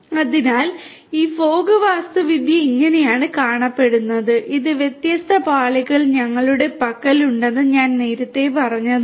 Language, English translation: Malayalam, So, this is how this fog architecture looks like, as I told you earlier we have these different layers